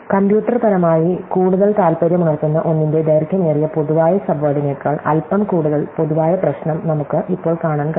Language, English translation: Malayalam, So, we can now look at a slightly more general problem than longest common subword in one which is more interesting computationally